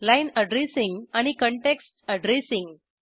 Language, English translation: Marathi, Line addressing and context addressing